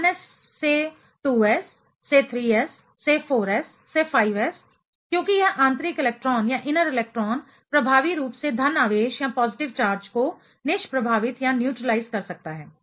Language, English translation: Hindi, So, 1s to 2s to 3s to 4s to 5s, since this inner electron can neutralize the positive charge effectively